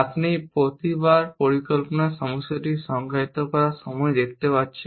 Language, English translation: Bengali, As you can see every time you define the planning problem